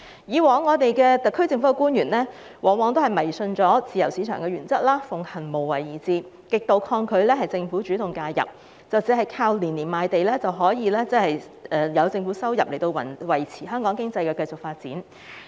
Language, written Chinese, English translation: Cantonese, 以往特區政府官員迷信自由市場原則，奉行無為而治，極度抗拒政府主動介入，以為靠年年賣地的政府收入，便可維持香港經濟發展。, In the past SAR government officials who believed in the free market principle and adopted a hands - off style of governance were utterly resistant to active intervention by the Government thinking that revenue from land sales over the years could sustain economic development in Hong Kong